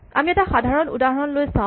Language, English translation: Assamese, So, let us look at a typical example